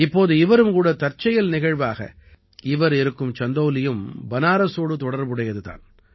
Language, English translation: Tamil, Now it is also a coincidence that Chandauli is also adjacent to Banaras